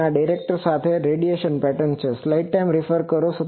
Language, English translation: Gujarati, And this is the with directors, this is the radiation pattern